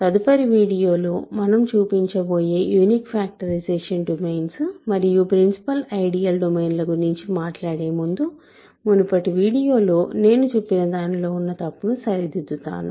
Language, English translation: Telugu, Before I talk about unique factorization domains and principle ideal domains which is going to be our goal for the next few videos, let me correct something I said in a previous video which was incorrect, ok